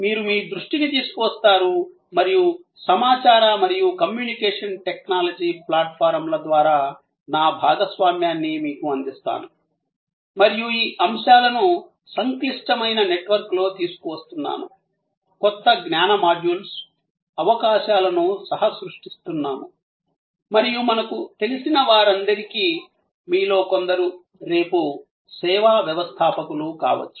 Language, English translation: Telugu, You bring your attention and I bring my sharing and these elements in a complex network over information and communication technology platforms are together co creating new knowledge modules, possibilities and for all we know, some of you may become tomorrow service entrepreneurs